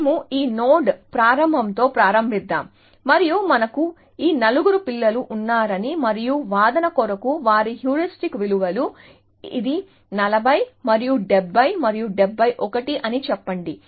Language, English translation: Telugu, So, let us say we start with this node start, and let us say we have these four children, and their heuristic values for the sake of argument, let us say, this is 40 and 70 and 71